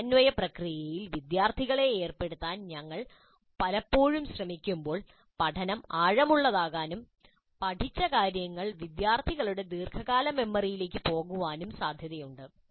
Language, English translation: Malayalam, The more often we try to have the students engage in this process of integration, the more likely that learning will be deep and the material learned would go into the long term memory of the students